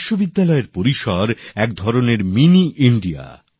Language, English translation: Bengali, University campuses in a way are like Mini India